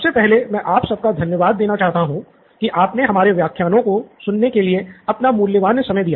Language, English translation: Hindi, First of all I would like to thank you for spending your time on listening to these lectures